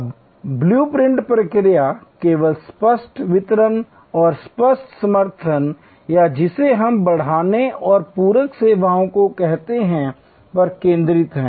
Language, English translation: Hindi, Now, the blue print process only focuses on explicit deliveries and explicit supports or what we call enhancing and supplement services